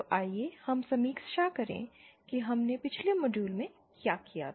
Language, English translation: Hindi, So let us review what we did in the previous class in the previous module